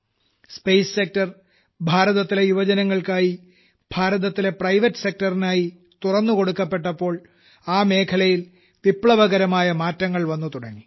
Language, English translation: Malayalam, Since, the space sector was opened for India's youth and revolutionary changes have started coming in it